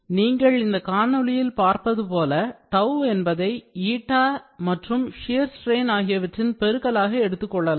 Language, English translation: Tamil, So, this relation is directly like this then, tau is equal to eta into shear strain